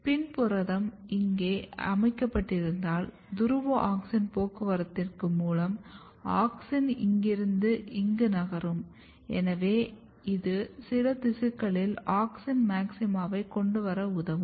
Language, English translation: Tamil, So, if PIN is localized here then auxin can move from here to here, and this kind of polar auxin transport basically helps in gaining auxin maxima in some of the tissues